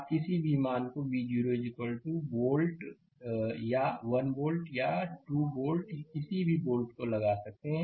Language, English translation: Hindi, You take any value it is a linear circuit V 0 1 volt 2 volt does not matter